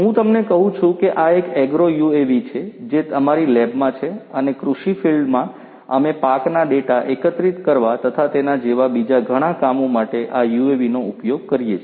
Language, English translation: Gujarati, As I was telling you this is an agro UAV that we have in our lab you know we use this UAV for collecting crop data and so on from agricultural fields